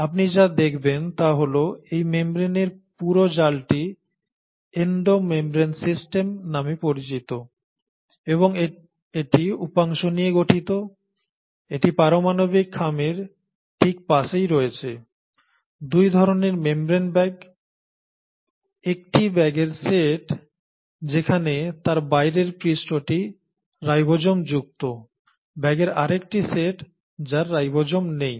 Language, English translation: Bengali, And what you find is that this entire meshwork of these membranes is called as the Endo membrane system, and it consists of subsections, it has right next to the nuclear envelope, 2 kinds of membrane bags, a set of bags which are studded on their outer surface with ribosomes, another set of bags which do not have ribosomes